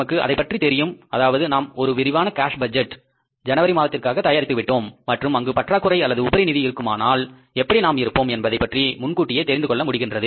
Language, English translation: Tamil, We know it that we have prepared a comprehensive cash budget for the month of January and we know in advance we are going to be in this state of deficit or in the state of surplus